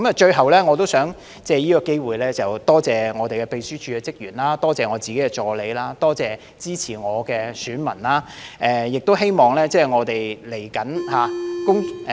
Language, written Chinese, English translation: Cantonese, 最後，我也想藉此機會，感謝我們秘書處的職員、我的助理，以及支持我的選民，亦希望未來我們......, Lastly I would also like to take this opportunity to thank the staff of our Secretariat my assistants and the constituents who support me . In addition I wish all our